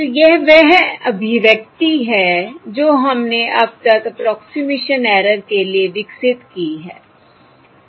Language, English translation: Hindi, So this is the expression that we have developed for approximation error so far